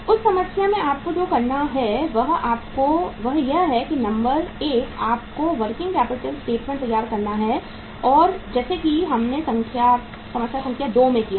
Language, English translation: Hindi, In that problem what you have to do is you will have to uh you have to say prepare number one is the working capital statement like this what we did in the problem number 2